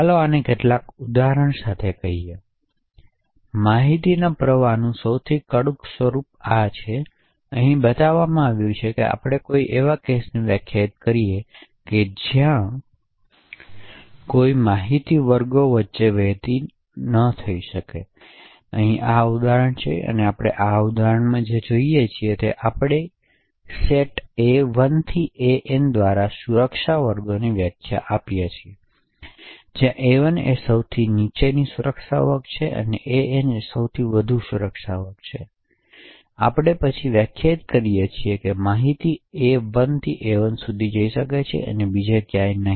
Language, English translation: Gujarati, Let say this with some examples, so will take the most strictest form of information flow and show how we can define a particular case where no information can flow between classes, so that is this example over here and what we see in this example is that we define security classes by the set A1 to AN, where A1 is the lowest security class and AN is the highest security class, then we define that information can flow from AI to AI and nowhere else